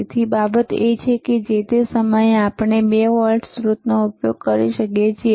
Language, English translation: Gujarati, Another thing is that, at the same time we can use 2 voltage sources, you see 2 voltages different voltage